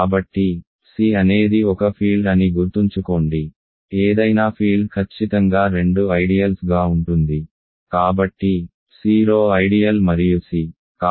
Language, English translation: Telugu, So, remember C is a field, any field as a exactly two ideal; so, namely the 0 ideal and C